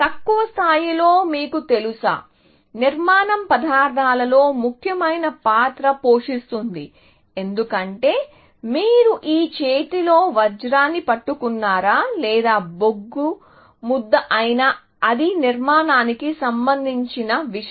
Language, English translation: Telugu, At a must lower level, you know, the structure plays an important role in materials, because whether you are holding a diamond in your hand, or a lump of coal; is just a matter of structure